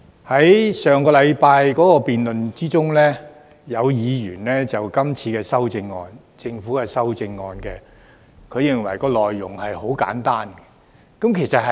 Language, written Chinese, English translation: Cantonese, 在上星期的辯論中，有委員認為今次政府修正案的內容很簡單，其實是的。, During last weeks debate some Members considered the Governments current amendment very simple in content . It is actually true